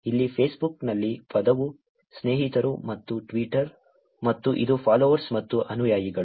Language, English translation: Kannada, The term here in Facebook, it is friends and Twitter, and it is followers and followings